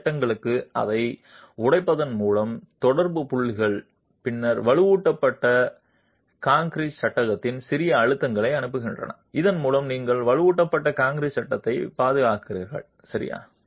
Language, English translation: Tamil, By breaking it down to subpanels, the contact points then transmit smaller pressures to the reinforced concrete frame and thereby you protect the reinforced concrete frame as well